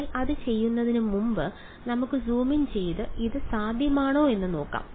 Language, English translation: Malayalam, But before we do that let us zoom in and see is it possible